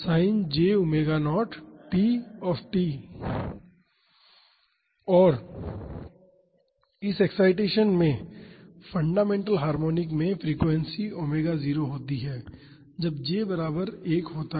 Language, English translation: Hindi, And the fundamental harmonic in this excitation has the frequency omega naught that is when j is equal to 1